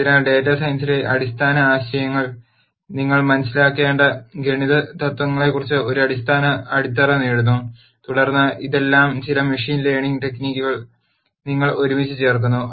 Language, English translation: Malayalam, So, you understand the basic ideas in data science you get a fundamental grounding on the math principles that you need to learn and then you put all of this together in some machine learning technique